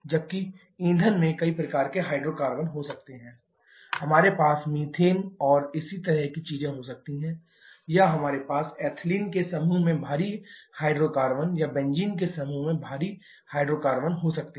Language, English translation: Hindi, Whereas in the fuel we can have several kinds of hydrocarbons both, we can have methane and similar kind of things or we can have heavy hydrocarbons as well in the group of ethylene or even going to even heavier hydrocarbons in the group of benzene